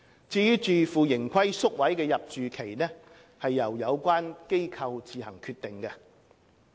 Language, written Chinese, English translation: Cantonese, 至於自負盈虧宿位的入住期則由有關機構自行決定。, The duration of stay in self - financing hostels is determined by the operating agencies concerned